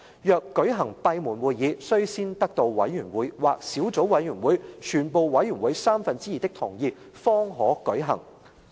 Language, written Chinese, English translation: Cantonese, 若舉行閉門會議，須先得到委員會或小組委員會全部委員三分之二的同意方可舉行"。, If a meeting is to be held in camera it shall be so decided by two - thirds majority of the Members of that committee or subcommittee